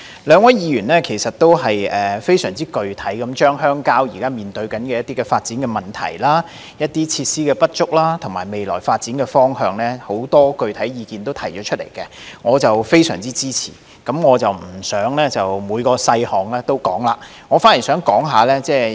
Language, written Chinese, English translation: Cantonese, 兩位議員非常具體地提出了很多鄉郊現時面對的發展問題、設施不足的情況，以及未來發展方向的意見，我十分支持，但我不會就每個細項逐一說明。, The two Members have pointed out in detail many rural development problems and inadequate facilities . They have also provided their views on the direction of future development . I very much support their views but I will not elaborate on every detail